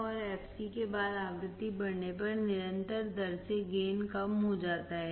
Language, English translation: Hindi, And after the fc, gain decreases at constant rate as the frequency increases